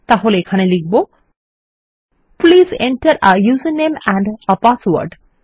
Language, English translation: Bengali, So here Ill say Please enter a user name and a password